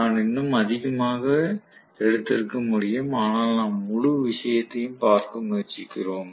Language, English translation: Tamil, I could have taken more, but we are just trying to look at the whole thing